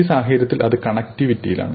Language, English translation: Malayalam, In this case, connectivity